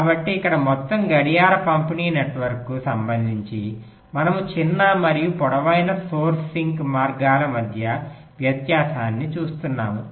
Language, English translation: Telugu, so so here, with respect to the whole clock distribution network, we are looking at the difference between the shortest and the longest source sink paths